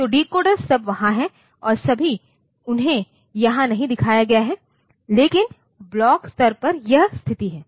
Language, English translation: Hindi, So, there are decoders and all that, they are not shown here, but at the block level, this is the situation